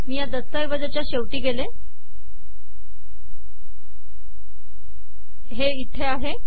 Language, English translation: Marathi, Then we go to the end of the document here